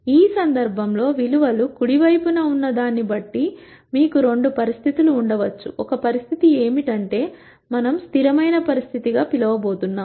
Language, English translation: Telugu, In this case, depending on what the values are on the right hand side, you could have two situations; one situation is what we are going to call as a consistent situation